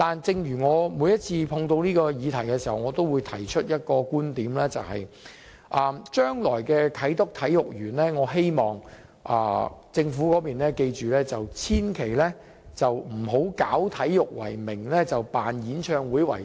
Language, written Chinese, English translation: Cantonese, 但是，我每一次碰到這議題，都會提出一個觀點，就是我希望政府記着，將來的啟德體育園千萬不要以搞體育為名，辦演唱會為實。, But I always drive home a point whenever I talk about this subject . I wish to remind the Government not to turn the future Sports Park into a venue for holding concerts in the disguise of sports